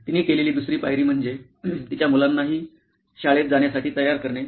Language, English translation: Marathi, The second step that, she did was to get her kids ready for school as well